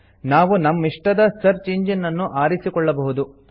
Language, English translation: Kannada, We can choose the search engine of our choice